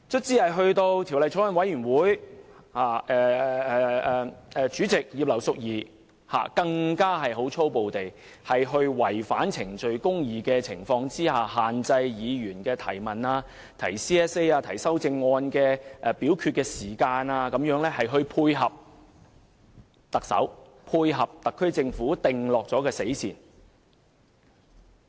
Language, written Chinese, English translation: Cantonese, 在法案委員會審議階段，主席葉劉淑儀議員在違反程序公義的情況下，粗暴限制議員提出質詢、提出修正案，為表決時間設限，配合特首、特區政府訂下的死線。, During the scrutiny by the Bills Committee the Chairman Mrs Regina IP breached procedural justice to restrain in a heavy - handed manner Members from raising questions and proposing amendments and set a voting time limit to dovetail with the deadline set by the Chief Executive and the SAR Government